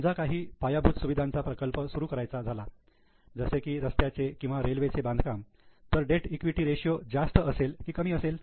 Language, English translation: Marathi, Suppose some infrastructure project to be started, like construction of road or construction of railways, will the debt equity ratio be higher or lower